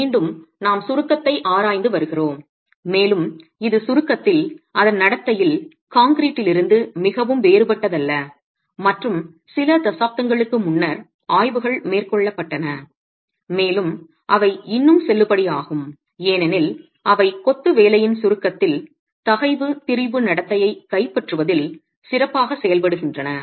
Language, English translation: Tamil, Again, we are examining compression and in a way it's not very different from concrete in its behavior in compression and studies were carried out a few decades ago and they still valid because they do a rather good job in capturing the stress strain behavior of masonry in compression